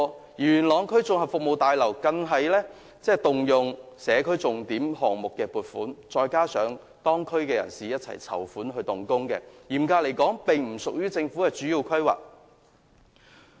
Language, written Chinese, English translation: Cantonese, 此外，元朗區綜合服務大樓更要動用社區重點項目計劃的撥款，還要加上當區人士籌款才得以動工，所以嚴格來說，並不屬於政府的主要規劃。, What is more the construction of the Yuen Long District Community Services Building has to be funded by the Yuen Long Districts Signature Project together with money raised by local people . Therefore strictly speaking it is not a major planning of the Government